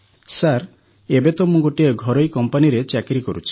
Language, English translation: Odia, Sir, presently I am doing a private job